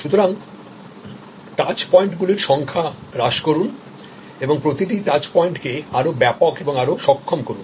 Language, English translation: Bengali, So, reduce the number of touch points and make each touch point more comprehensive and more capable